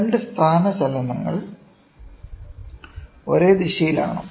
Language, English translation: Malayalam, Are the two displacements in the same direction